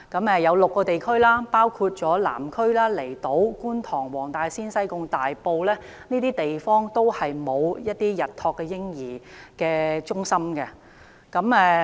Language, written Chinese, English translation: Cantonese, 有6個地區，包括南區、離島、觀塘、黃大仙、西貢、大埔都沒有日託嬰兒中心。, Day crèches are not available in six districts namely the Southern District the Islands District Kwun Tong Wong Tai Sin Sai Kung and Tai Po